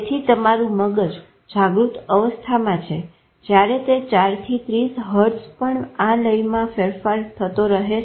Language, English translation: Gujarati, So your brain in awake stage when it varies from 4 to 30 hertz also keeps changing its rhythm